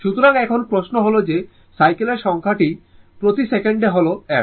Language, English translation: Bengali, So, now question is that your this number of cycles per second that is f